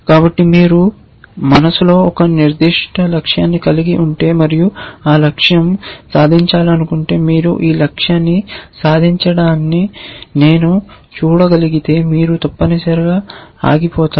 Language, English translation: Telugu, So, maybe if you have a certain goal in mind and if that goal is achieve you will say if this goal I can see the goal being achieved then halt essentially